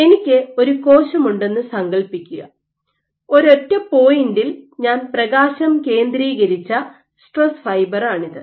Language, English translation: Malayalam, So, imagine I have the cell and this is one such stress fiber in which I had focused light at the single point